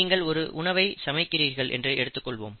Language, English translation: Tamil, Suppose you are making a dish, cooking a dish, okay